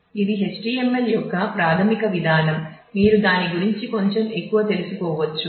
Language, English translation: Telugu, So, this is the basic mechanism of HTML you can learn little bit more about that and get familiar with it